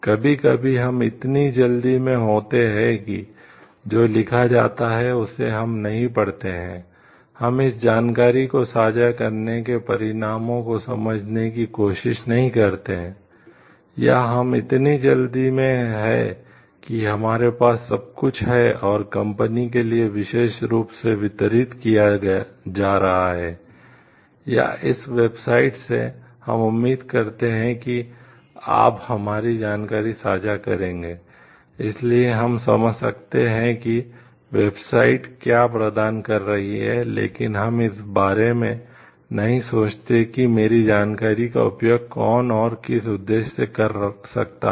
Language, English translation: Hindi, Sometimes it happens like we are in such a hurry, that we do not read what is written, we do not try to understand the consequences of sharing that information, or we are in such a hurry to possess the like, whatever is being delivered by that particular company, or that website we feel like you will just share our information